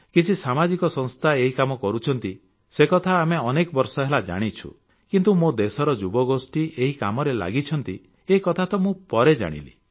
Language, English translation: Odia, Some social institutions have been involved in this activity for many years was common knowledge, but the youth of my country are engaged in this task, I only came to know later